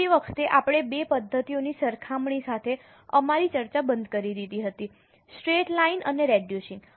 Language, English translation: Gujarati, Last time we had stopped our discussion with the comparison of the two methods, straight line and reducing